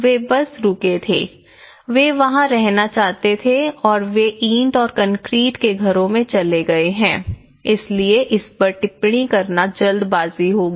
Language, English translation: Hindi, They just stayed, they wanted to stay there and they have gone for the brick and concrete houses so this is too early to comment